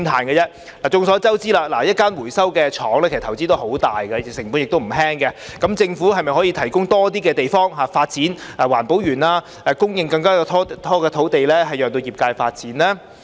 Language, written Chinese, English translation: Cantonese, 眾所周知，一間回收廠的投資十分龐大，成本不菲，政府可否提供更多地方發展環保園，供應更多土地讓業界發展呢？, As we all know a recycling plant requires enormous investment and the cost is high . Can the Government provide more space for the development of the EcoPark and supply more land for that of the sector?